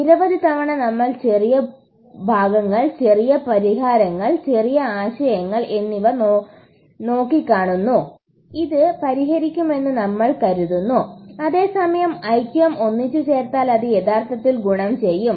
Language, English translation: Malayalam, So lots of times we look at smaller portions, smaller solutions, smaller ideas and we think this is what will solve it, whereas something put together unity actually would do the trick